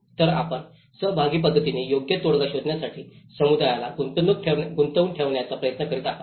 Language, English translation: Marathi, So, you are trying to engage the community to find the appropriate solutions by a participatory approaches